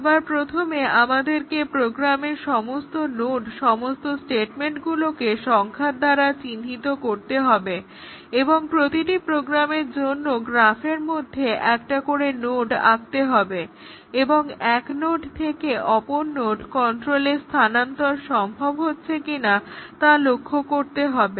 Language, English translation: Bengali, The first thing is that we have to number all node all the statements in the program and we have to draw one node in the graph for each program and we have to see if there is a transfer of control possible from one node to the other then we draw a an edge